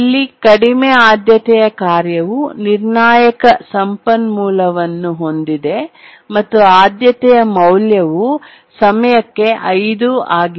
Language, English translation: Kannada, A low priority task is holding a critical resource and the priority value is 5